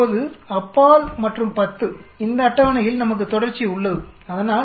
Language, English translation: Tamil, Now for beyond and 10 we have continuation on this table, so it goes like this 20 goes up to 30